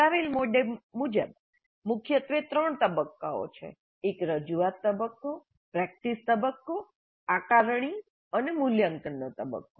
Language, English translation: Gujarati, Primarily there are three phases, a presentation phase, a practice phase, assessment and evaluation phase